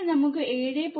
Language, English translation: Malayalam, Then I can write 7